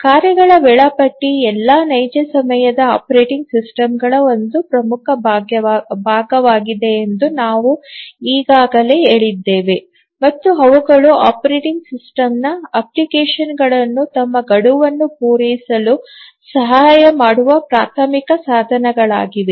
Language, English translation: Kannada, And we have already said that the task schedulers are important part of all real time operating systems and they are the primary means by which the operating system helps the applications to meet their deadlines